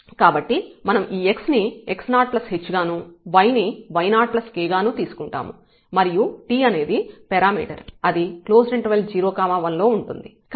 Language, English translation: Telugu, So, we take this x is equal to x 0 plus th and y as y 0 plus th and t is some parameter from this interval 0 and 1, including 0 and 1